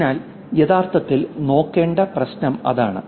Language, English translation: Malayalam, So, that's the problem to actually look at